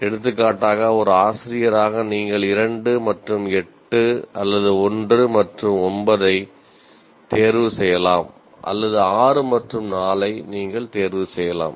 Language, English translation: Tamil, For example, as a teacher you can choose 2 and 8 or 1 and 9, or you can say 6 and 4